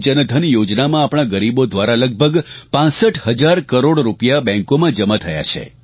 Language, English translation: Gujarati, In the Pradhan Mantri Jan Dhan Yojna, almost 65 thousand crore rupees have deposited in banks by our underprivileged brethren